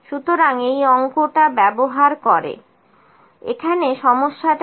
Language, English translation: Bengali, So, using this numerical what is the problem here